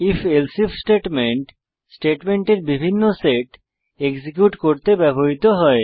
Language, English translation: Bengali, If…Else If statement is used to execute various set of statements